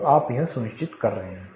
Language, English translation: Hindi, So, you are ensuring that